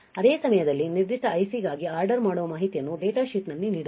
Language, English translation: Kannada, At the same time what are the ordering information for that particular IC is also given in the data sheet